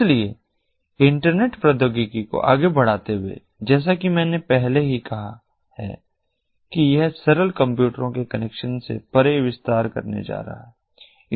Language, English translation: Hindi, so, going forward, internet technology that we have, as i have already said, it is going to expand beyond the connection of simple computers